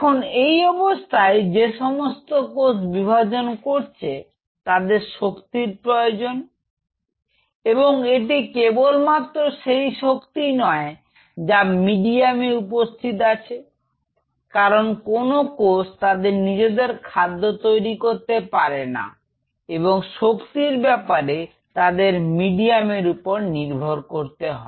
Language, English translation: Bengali, Now on at this condition these cells which are dividing will need energy and it is only source of energy is in medium because none of these cells are synthesizing their own food material they are depending on the medium to supply them with energy